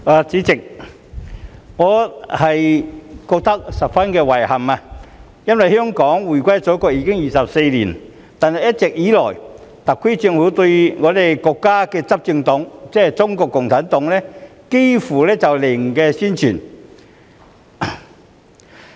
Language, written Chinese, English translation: Cantonese, 主席，我覺得十分遺憾，因為香港回歸祖國已經24年，但一直以來，特區政府對於國家的執政黨，即中國共產黨幾乎是"零宣傳"。, President I feel deeply sorry because it has been 24 years since Hong Kongs return to the Motherland but the SAR Government has given very little if not zero publicity to Chinas ruling party CPC over the years